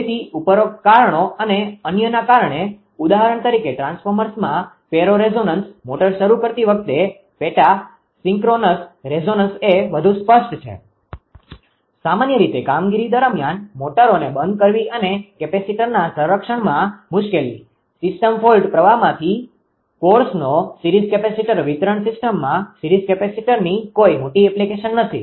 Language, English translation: Gujarati, For examples ferroresonance in transformers, subsynchronous resonance is the more pronounced right during motor starting, shutting of motors during normal operation, and difficulty in protection of capacitors; series capacitor of course from system fault current; series capacitors do not have large application in distribution system